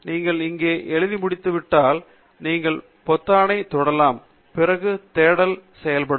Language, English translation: Tamil, Once you are done with writing here, you can then click on the button Search, and then the search will be performed